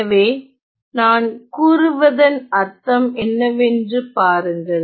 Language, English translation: Tamil, So, let us see what I mean by that